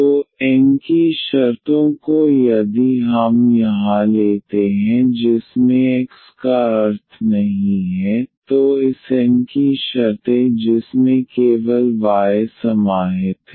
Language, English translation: Hindi, So, the terms of N if we take here containing not containing x meaning that terms of this N which contains only the y